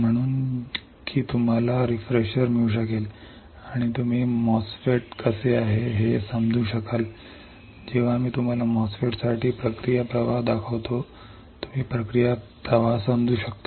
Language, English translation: Marathi, So, that you can get a refresher and you will be able understand how the MOSFET is when I show you the process flow for MOSFET, you can understand the process flow